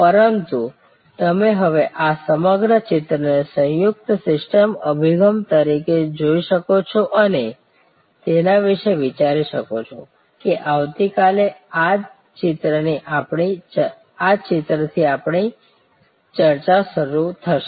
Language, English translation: Gujarati, But, you can now look at this whole picture as a composite systems approach and think about it will start our discussion could the same picture tomorrow